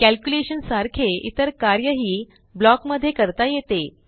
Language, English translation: Marathi, Any other execution like calculation could also be given in the block